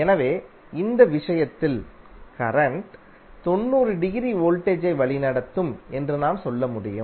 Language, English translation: Tamil, So what we can say that in this case current will lead voltage by 90 degree